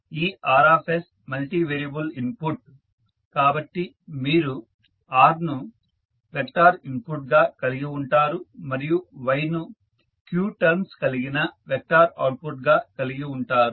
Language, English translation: Telugu, So, this Rs is multivariable input so you will have R as a vector as an input and Y as an output containing the vector of q terms